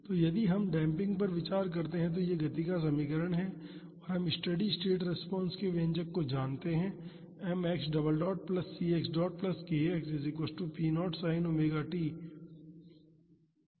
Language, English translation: Hindi, So, if we consider discuss damping, this is the equation of motion and we know the expression for steady state response